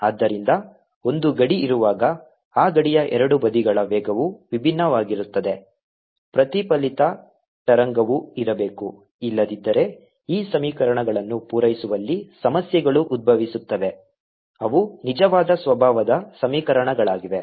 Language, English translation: Kannada, so whenever there is a boundary so that the speeds of the two sides of that boundary are different, there has to be a reflected wave also, otherwise arise into problems of satisfying these equations, which are true nature, given equations